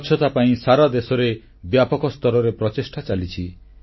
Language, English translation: Odia, Efforts in the direction of cleanliness are being widely taken across the whole country